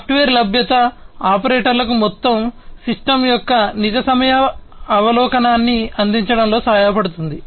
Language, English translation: Telugu, Availability of software also helps in providing real time overview of the entire system to the operators